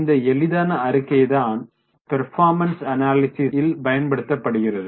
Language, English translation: Tamil, This is a very useful simple statement for the performance analysis